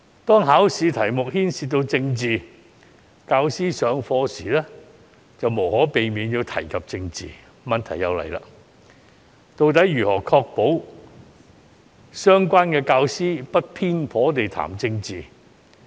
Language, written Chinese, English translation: Cantonese, 當考試題目牽涉政治，教師上課時便無可避免地要提及政治，於是問題便來了。, When examination questions involve politics teachers will inevitably talk about politics in class